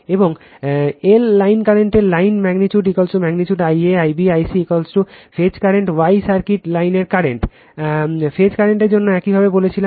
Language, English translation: Bengali, And line magnitude of L line current is equal to magnitude I a, I b, I c is equal to the phase current I told you for star circuit line current is equal to phase current right